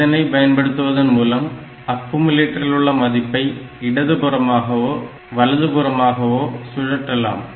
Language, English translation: Tamil, So, it will rotate the content of accumulator one position to the left or right